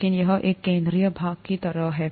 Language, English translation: Hindi, But it's kind of a central part